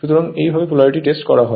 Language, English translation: Bengali, Next is Polarity Test